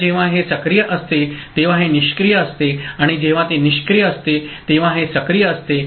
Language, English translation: Marathi, So, when this is active this is inactive and when this is inactive this is active